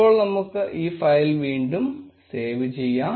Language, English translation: Malayalam, Now let us save this file again